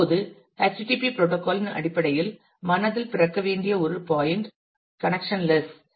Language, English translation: Tamil, Now, one point that should be born in mind in terms of the http protocol is it is connectionless